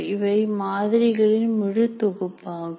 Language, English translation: Tamil, There are a whole bunch of models